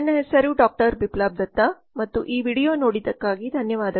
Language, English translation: Kannada, Biplab Datta and thank you for watching this video